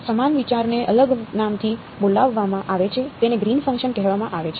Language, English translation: Gujarati, Same idea is being called by a different name is called Green’s function